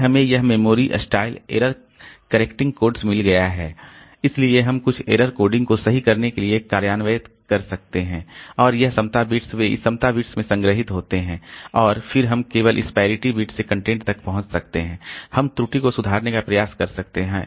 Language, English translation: Hindi, Then we have got this memory style error correcting code so we can have some error correcting codes implemented and this parity bits they are stored in this parity disks and then we can just access the content and from this parity bits so we can try to rectify the error